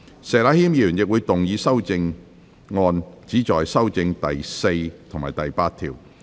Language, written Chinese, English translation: Cantonese, 石禮謙議員亦會動議修正案，旨在修正第4及8條。, Mr Abraham SHEK will also move amendments which seek to amend clauses 4 and 8